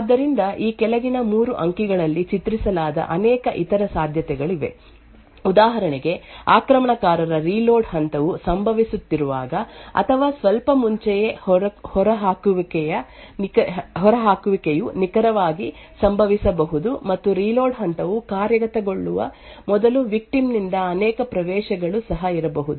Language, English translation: Kannada, So there are many other possibilities which are depicted in these 3 figures below; for example, the eviction could occur exactly at that time when attacker’s reload phase is occurring or slightly before, or there could be also multiple accesses by the victim before the reload phase executes